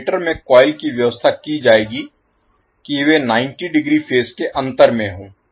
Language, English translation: Hindi, So, the coils which will be arranged in the generator will be 90 degrees out of phase